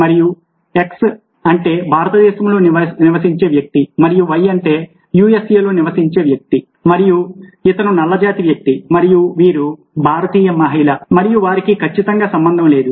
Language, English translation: Telugu, let say that we have, say, x and y, and x somebody who lives in india and y somebody would even, let say, usa, and this is a black man and this is a indian woman, and they have absolutely no connection